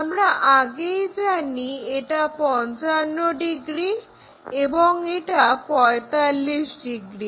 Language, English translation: Bengali, This is already we know 55 degrees and this one already we know 45 degrees